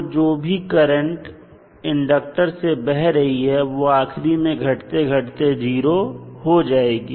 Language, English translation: Hindi, So, whatever is there the current which is flowing through the inductor will eventually decay out to 0